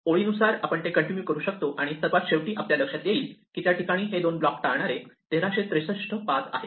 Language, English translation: Marathi, So, we can continue doing this row by row, and eventually we find look there are 1363 paths which avoid these two